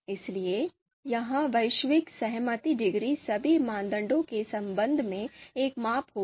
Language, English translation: Hindi, So this global concordance degree would be a measurement with respect to the all with respect to all the criteria